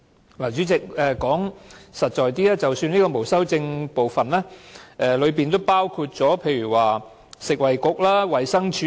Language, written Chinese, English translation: Cantonese, 代理主席，說得實在一點，在這個沒有修正案的部分，當中包括了食物及衞生局和衞生署。, Deputy Chairman in more concrete terms this part without amendment covers the Food and Health Bureau and the Department of Health